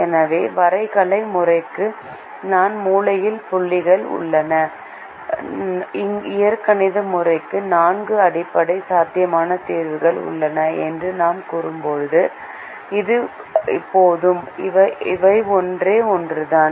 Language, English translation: Tamil, so when we say that the graphical method has four corner points and the algebraic method has four basic feasible solutions, it is enough